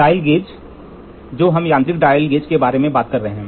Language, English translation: Hindi, Dial gauge which now we are talking about the mechanical comparator